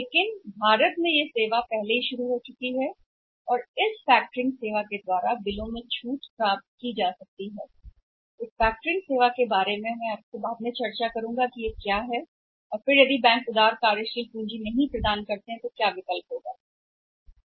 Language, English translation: Hindi, But the services already started in India and from this factors the bills can be got discounted about the factors affecting services are that I discuss with you in the sometime later on what factors is and again alternative if the banks are not providing the liberal working capital that is a one part